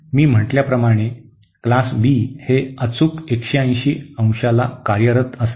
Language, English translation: Marathi, For the Class B as I said it conducts for exactly 180 degree